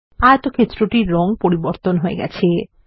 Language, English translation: Bengali, The color of the rectangle has changed